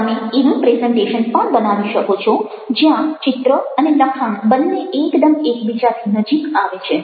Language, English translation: Gujarati, you can also make a presentation where the text and image come almost very close to one another